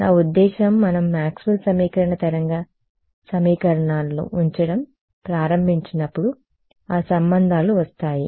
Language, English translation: Telugu, I mean when we start putting in Maxwell’s equation wave equations those relations will come